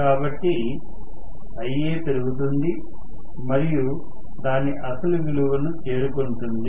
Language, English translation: Telugu, So, Ia increases and reaches its original value